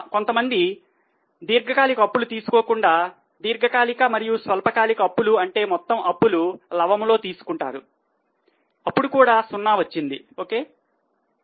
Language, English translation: Telugu, Some people instead of long term borrowing take long term plus short term borrowing that is total borrowing in the numerator even in that case the amount is zero